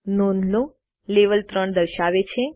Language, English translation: Gujarati, Notice, that the Level displays 3